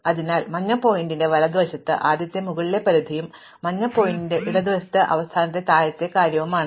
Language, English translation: Malayalam, So, what is to the right of the yellow pointer is the first upper limit and what is to the left of the yellow pointer is the last lower thing